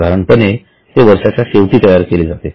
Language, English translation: Marathi, Normally it is prepared at the end of the year